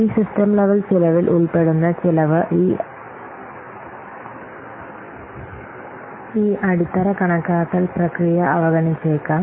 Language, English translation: Malayalam, So, the cost that will be involved in these system level cost may be overlooked by this bottom of estimation process